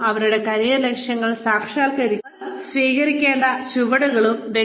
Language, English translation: Malayalam, And, the steps, they must take, to realize their career goals